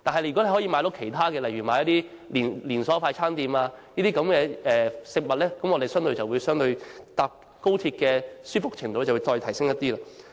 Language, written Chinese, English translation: Cantonese, 如果市民可以購買其他連鎖快餐店的食物，相對而言，我們乘搭高鐵的舒適程度便可再提升一點。, If Hong Kong citizens can also purchase food from other fast food chains comparatively speaking the comfort in taking XRL or HSR can be further enhanced